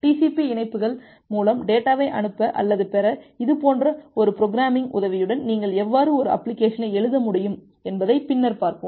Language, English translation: Tamil, And later on we will look into that how you can write an application with the help of such a programming to send or receive data over TCP connections